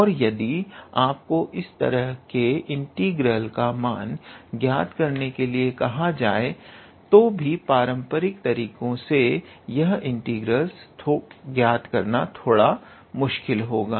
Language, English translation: Hindi, And if you are asked to evaluate an integral of this type then even in this case it will be a little bit tedious to evaluate this integral using our traditional method